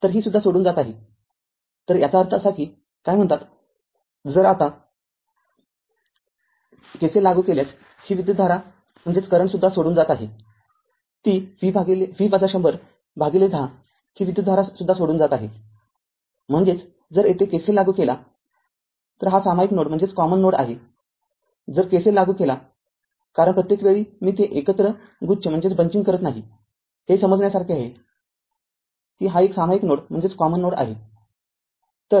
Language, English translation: Marathi, So, it is also leaving right so; that means, your what you call if you now if you apply your this current also leaving, that V minus 100 by 10 this current is also leaving, this current is also leaving; that means, if you apply KCL here this is a common node if you apply KCL because every time I am not bunching it together, it is understandable it is a common node